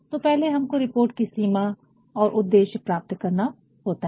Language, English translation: Hindi, So, first is to know the scope and purpose